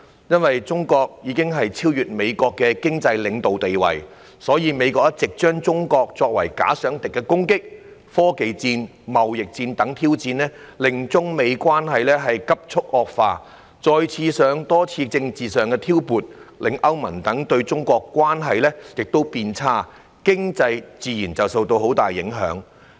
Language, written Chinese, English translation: Cantonese, 由於中國已經超越美國的經濟領導地位，美國一直視中國為"假想敵"，展開科技戰、貿易戰等攻擊和挑戰，令中美關係急促惡化；再加上多次政治挑撥，令中國與歐盟等地的關係亦變差，經濟自然受到很大影響。, As China has surpassed the United States as the economic leader the United States has regarded China as its imaginary enemy and launched attacks and challenges by waging technology wars and trade wars causing the relationship between China and the United States to worsen rapidly . Coupled with the numerous political provocations the relationships between China and European Union countries have also turned sour . As a result Chinas economy has been greatly affected